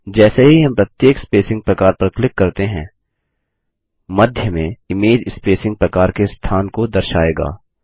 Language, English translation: Hindi, As we click on each spacing type, the image in the centre shows the location of the spacing type